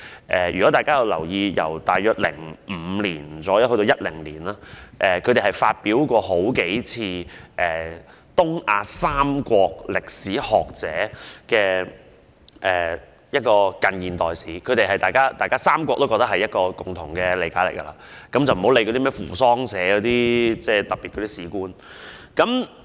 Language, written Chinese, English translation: Cantonese, 大約由2005年至2010年，他們曾數度發表東亞三國歷史學者的近現代史，當中記載三國的共同理解，暫且不理會扶桑社等出版的歷史教科書所引起的特別事故。, On a number of occasions around the period between 2005 and 2010 they published the modern history compiled by the historians of the three East Asian countries concerning the common interpretation by the three countries of their historic events leaving aside the special incidents arising from the history textbooks published by publishers like Fusosha Publishing for the time being